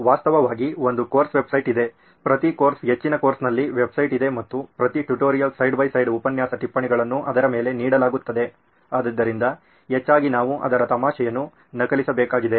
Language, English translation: Kannada, Actually there’s a course website, every course, most of the course have a website and every tutorial side by side, all the lecture notes are given on that, so mostly we need to copy just the jest of it